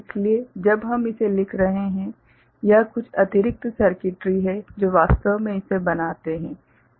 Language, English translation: Hindi, So, when we are writing it this is some additional circuitry which actually making it happen ok